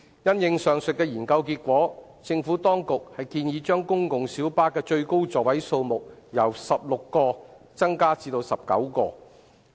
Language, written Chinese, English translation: Cantonese, 因應上述的研究結果，政府當局建議將公共小巴的最高座位數目由16個增加至19個。, As a result of the aforesaid study the Administration proposes to increase the maximum seating capacity of PLBs from 16 to 19